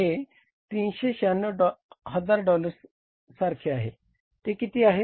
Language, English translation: Marathi, This is something like $396,000, $396,000